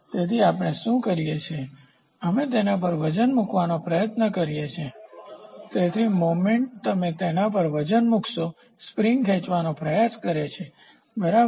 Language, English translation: Gujarati, So, what we do is, we try to put a weight on it the; so, movement you put a weight on it the spring tries to stretch, ok